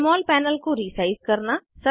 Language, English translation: Hindi, * Resize the Jmol panel